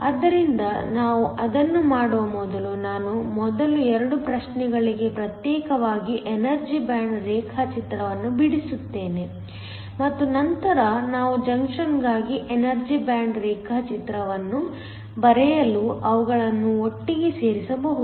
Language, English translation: Kannada, So, before we do that let me first draw the energy band diagram for the 2 regions separately and then we can put them together to draw the energy band diagram for the junction